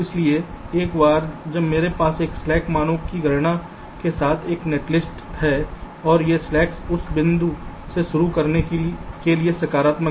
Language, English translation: Hindi, so once i have a netlist with this slack values calculated and this slacks are positive, to start from that point